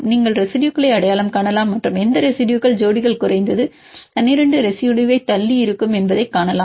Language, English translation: Tamil, You can identify the residues and see which residues pairs are far apart at least 12 residues